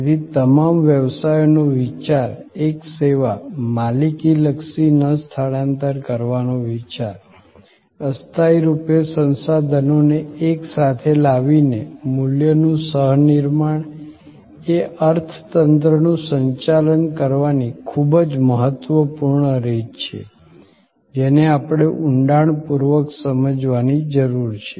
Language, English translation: Gujarati, So, thinking of all businesses, a service, thinking of non transfer of ownership oriented, co creation of value by bringing temporarily resources together expertise together is very important way of managing the economy that we have to understand in depth